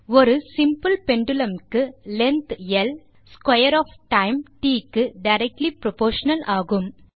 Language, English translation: Tamil, As we know for a simple pendulum, length L is directly proportional to the square of time T